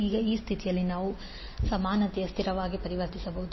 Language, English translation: Kannada, Now this condition we can converted into equality constant